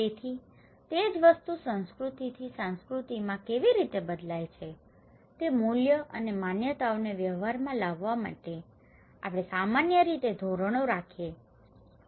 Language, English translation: Gujarati, So, how the same thing varies from culture to culture, so in order to put those values and beliefs into practice, we have generally norms